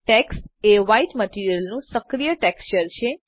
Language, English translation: Gujarati, Tex is the White materials active texture